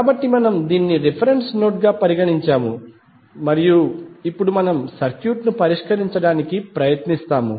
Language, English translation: Telugu, So, we have considered this as a reference node and now we will try to solve the circuit